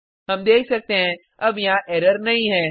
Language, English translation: Hindi, We see that, there is no error